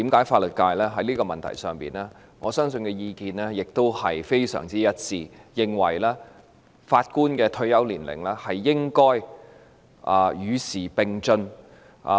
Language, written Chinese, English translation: Cantonese, 法律界對於這個問題的意見亦非常一致，認為法官的退休年齡應該與時並進。, The legal profession also holds virtually a unanimous view on this issue for we consider that the retirement age of Judges should be kept abreast of the times